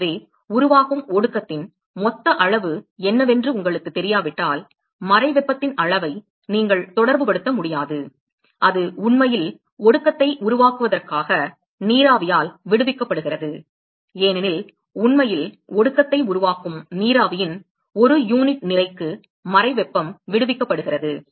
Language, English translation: Tamil, So, unless you know what is the total amount of condensate that is formed you will be not be able to relate the amount of latent heat, that is actually being liberated by the vapor in order to form the condensate, because the latent heat is liberated per unit mass of the vapor that is actually forming the condensate